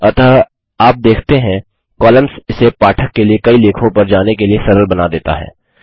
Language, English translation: Hindi, So you see columns make it easier for the reader to go through multiple articles